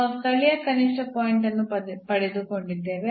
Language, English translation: Kannada, So, we got this point of local minimum